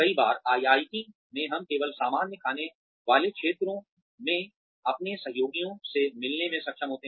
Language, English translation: Hindi, Many times, in IIT, we are only able to meet our colleagues, in the common eating areas